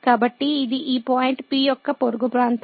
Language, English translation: Telugu, So, this is the neighborhood of this point P